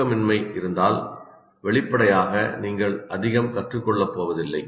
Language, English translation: Tamil, So if you, there is sleep deprivation obviously you are not going to learn that very much